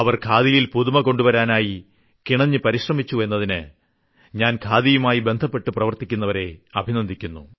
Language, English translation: Malayalam, My greetings to the people associated with khadi for their earnest efforts to bring something new in khadi